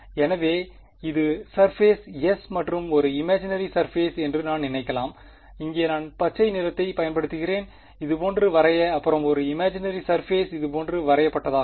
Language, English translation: Tamil, So, I can think of this being the surface S and one imaginary surface let me use green over here drawn like this and an imaginary surface drawn like this over here ok